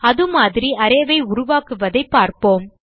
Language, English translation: Tamil, Let us see how to create such array